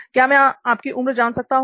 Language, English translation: Hindi, Can I ask your age